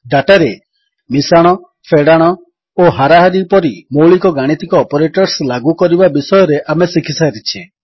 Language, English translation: Odia, We have already learnt to apply the basic arithmetic operators like addition,subtraction and average on data